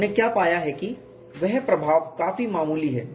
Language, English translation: Hindi, What we have found is the influence is quite marginal